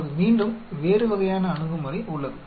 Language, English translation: Tamil, Now, again there is the different type of approach